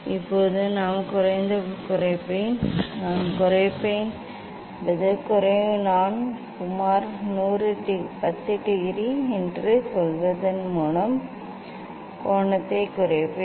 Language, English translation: Tamil, now, I will decrease the; I will decrease the; decrease I will decrease the angle approximately by say some 10 degree also